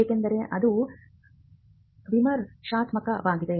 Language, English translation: Kannada, Because that is critical